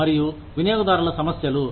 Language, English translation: Telugu, Employee and customer issues